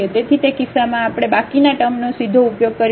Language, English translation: Gujarati, So, in that case we will use make use of the remainder term directly